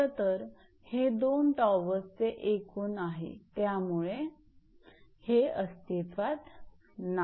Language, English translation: Marathi, Actually this is the total to the two towers, so, this is not existing